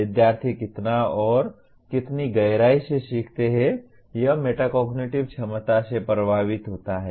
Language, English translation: Hindi, How much and how deeply the students learn also is affected by the metacognitive ability